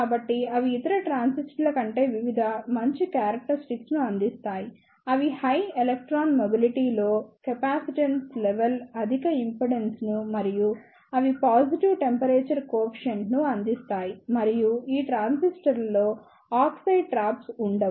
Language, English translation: Telugu, So, they provide the various better characteristics over other transistors; they are high electron mobility, low capacitance level, high input impedance and they providing negative temperature coefficients and there is lack of oxide trap in these transistors